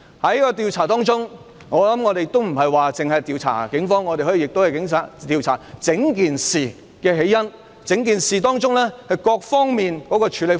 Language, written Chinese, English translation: Cantonese, 有關調查不會單單調查警方，可以調查整件事的起因，以及過程中各方面的處理方法。, The investigation will not purely target the Police . It can also look into the causes of the entire incident and the handling approaches adopted by various sides